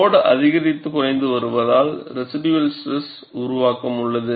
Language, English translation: Tamil, Because the load is increased and decreased, there is residual stress formation